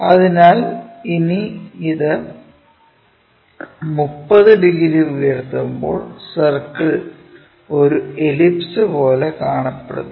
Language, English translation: Malayalam, So, when we ah lift this by 30 degrees, the complete circle looks like an ellipse, it looks like an ellipse here